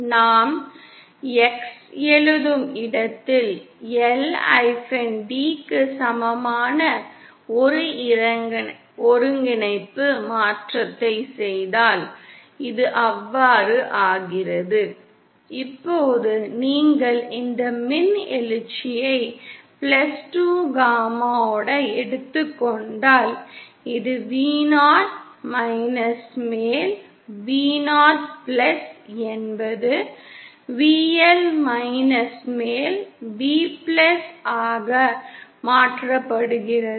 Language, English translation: Tamil, If we do a coordinate transformation where we write X is equal to L d then this becomes so then now if you take out this E raise to +2gamaL then this Vo upon Vo+ is converted to VL upon VL+